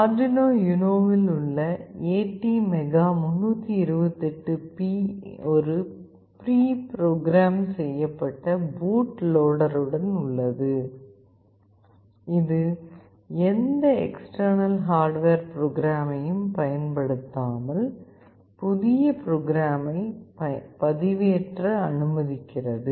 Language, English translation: Tamil, The ATmega328P on the Arduino UNO comes pre programmed with a boot loader that allows to upload new code to it without the use of any external hardware programmer